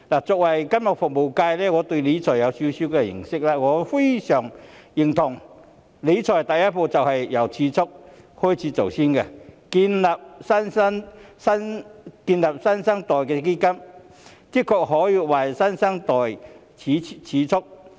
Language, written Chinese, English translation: Cantonese, 作為金融服務界代表，我對理財有少許認識，我非常認同理財第一步是由儲蓄做起，建立"新生代基金"的確可以為新生代儲蓄。, The original intention is very good . As a representative of the financial services sector I have some knowledge of money management . I agree very much that keeping savings is the first step to money management and the setting up of the New Generation Fund can really keep savings for the new generation